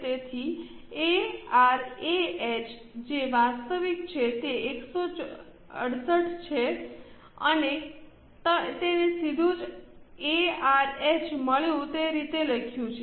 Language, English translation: Gujarati, H, which is the actual, is 168, we have directly written it as A R A H